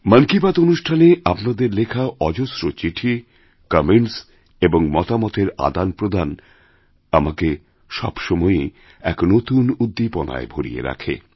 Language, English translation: Bengali, Your steady stream of letters to 'Mann Ki Baat', your comments, this exchange between minds always infuses new energy in me